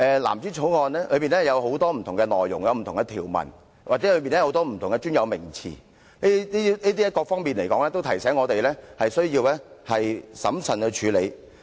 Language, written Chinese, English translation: Cantonese, 藍紙條例草案中有很多不同的內容和條文，其中又有很多不同的專有名詞，這各方面都提醒我們需要審慎處理。, There are many different details and provisions in the blue bill in which different technical terms abound . All these remind us of the need to handle the Bill cautiously